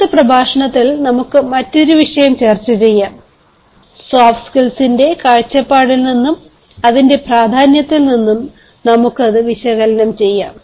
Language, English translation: Malayalam, when we come for the next lecture, we shall have a different topic and we shall analyze it from the point of view of soft skills and its importance at large